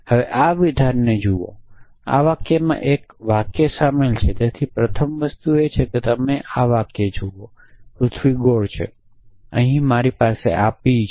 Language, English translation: Gujarati, Now, look at this statement this sentence contains a sentence so that is the first thing you should observed that there is a sentence inside this the earth is round and well I had p here